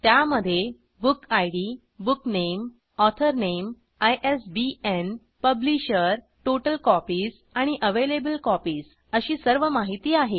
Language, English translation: Marathi, It has all the details like Book Id, BookName,Author Name, ISBN, Publisher, Total Copies and Available copies